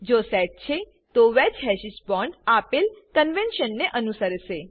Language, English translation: Gujarati, If set, the wedge hashes bonds will follow the usual convention